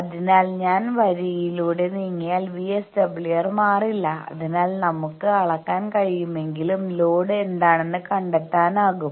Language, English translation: Malayalam, So, if I move along the line VSWR does not change, that is why if we can measure we can find out what is the load